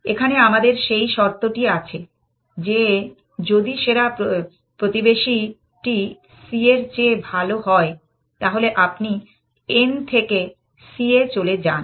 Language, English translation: Bengali, Here, we have that condition, if the best neighbor is better than c, then you move from n to c